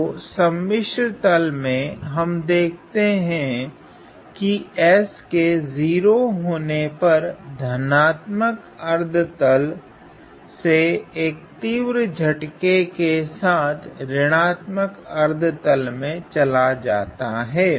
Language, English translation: Hindi, So, in the complex plane we see that at S equal to 0 there is a sudden jump from this positive half of the complex plane to the negative half of the complex plane